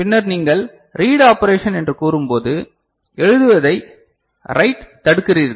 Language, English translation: Tamil, And then when you say read operation so, you are inhibiting write